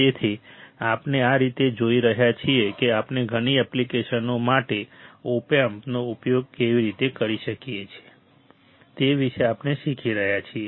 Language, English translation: Gujarati, So, we see this is how we are learning about how we can use op amp for several applications